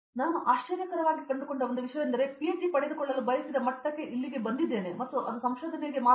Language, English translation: Kannada, So, one thing that I found surprising okay I came here for a degree I wanted to get a PhD and it was all about research